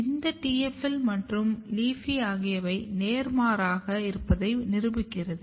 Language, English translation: Tamil, This also proves that TFL and LEAFY they looks opposite